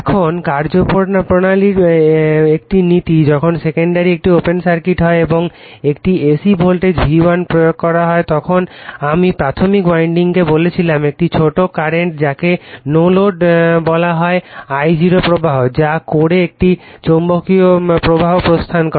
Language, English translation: Bengali, Now, principles of a principle of operation, when the secondary is an open circuit and an alternating voltage V1 is applied I told you to the primary winding, a small current called no load that is I0 flows right, which sets up a magnetic flux in the core